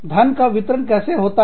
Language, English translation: Hindi, How does the money get distributed